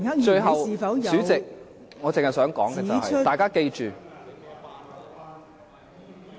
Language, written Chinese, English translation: Cantonese, 最後，代理主席，我只想說，大家記住......, Finally Deputy President I just want to say that we should all remember